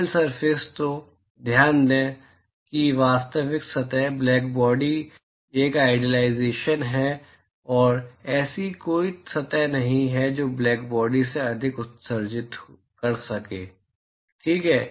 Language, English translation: Hindi, So, note that real surface; blackbody is an idealization and there is no surface which can emit more than blackbody, fine